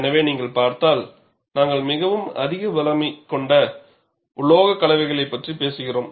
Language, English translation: Tamil, So, if you look at, we are really talking of very high strength alloys